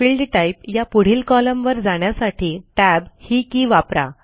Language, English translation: Marathi, Use the Tab key to move to the Field Type column